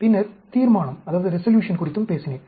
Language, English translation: Tamil, Then, I also talked about the resolution